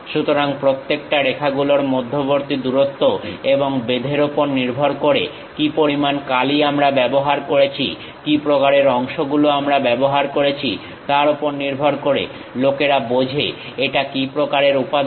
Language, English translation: Bengali, So, each one based on the spacing, the thickness of this lines, how much darken we use, what kind of portions we use; based on that people will understand what kind of material it is